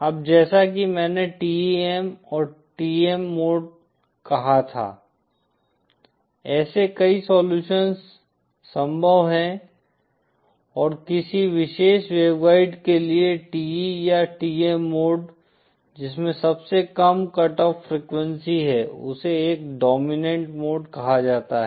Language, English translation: Hindi, Now the mode as I said the TEM and TM, there are multiple solutions possible and that TE or TM mode for a particular waveguide which has the lowest cut off frequency is called a dominant mode